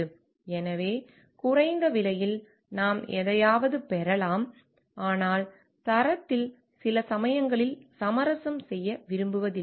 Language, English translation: Tamil, So, we may get something in a low price, but we cannot like compromise sometimes on a quality